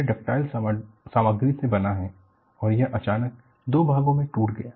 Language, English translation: Hindi, It is made of ductile material and it broke into 2 all of a sudden